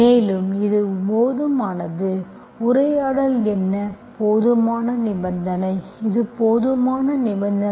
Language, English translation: Tamil, And is also sufficient, what the converse is, the sufficient condition, this is sufficient condition